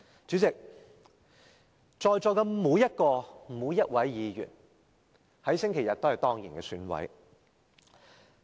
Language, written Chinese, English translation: Cantonese, 主席，在座的每一位議員，在星期日都是當然的選委。, President all Members present are ex - officio EC members who have the right to vote in the coming election on Sunday